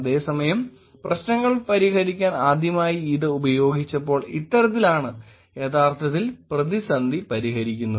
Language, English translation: Malayalam, Whereas, first time it was used to solve the problems, solve the crisis is actually this one